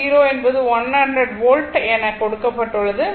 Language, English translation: Tamil, So, V C 0 minus will be 100 volt